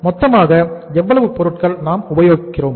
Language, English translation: Tamil, So how much is the total material we are using